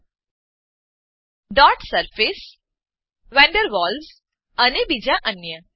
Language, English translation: Gujarati, Dot Surface van der Waals and some others